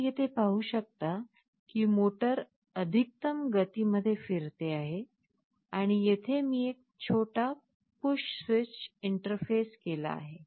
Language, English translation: Marathi, You can see here that the motor is rotating and it is the maximum speed, and here I have interfaced a small push switch